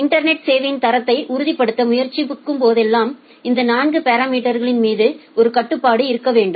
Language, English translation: Tamil, And whenever we are trying to ensure quality of service over the internet we need to have a control over these 4 parameters